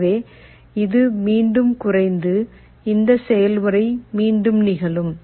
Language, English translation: Tamil, So, this will again go down and again this process will repeat